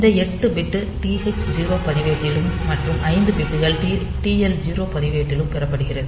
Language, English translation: Tamil, So, this 8 bit will be held in TH 0 register and 5 bits are held in the TL 0 register